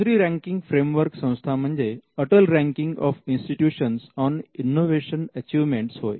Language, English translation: Marathi, Now, the other ranking framework is called the Atal Ranking of Institutions on Innovation Achievements